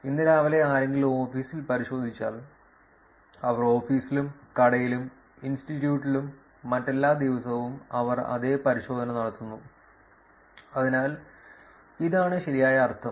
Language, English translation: Malayalam, If somebody checks into office in the morning today that they have got into the office, shop, institute and everything they do the same check in the next day, so that is what this means right